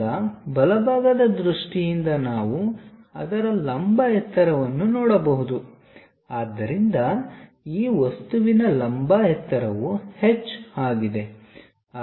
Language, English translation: Kannada, Now from the right side view, we can see the vertical height of that so the vertical height of this object is H